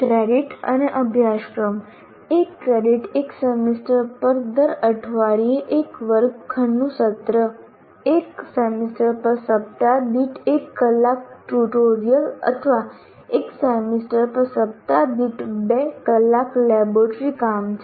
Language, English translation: Gujarati, Once again, one credit is one classroom session per week over a semester, one hour of tutorial per week over a semester or two hours of laboratory work per week over a semester